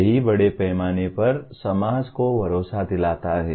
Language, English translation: Hindi, That is what it assures the society at large